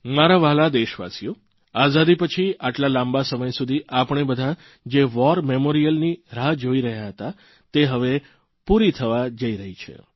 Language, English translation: Gujarati, My dear countrymen, the rather long wait after Independence for a War Memorial is about to be over